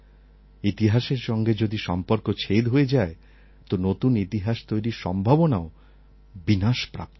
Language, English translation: Bengali, If we are detached from our history then the possibilities of creating history comes to an end